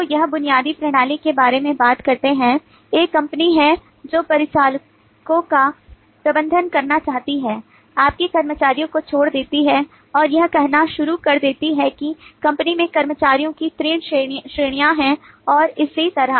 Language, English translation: Hindi, there is a company which wants to manage attendants leave of its employees and it starts saying that the company has three categories of employees and so on